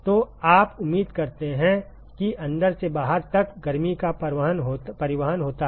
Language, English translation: Hindi, So, you expect that there is heat transport from inside to the outside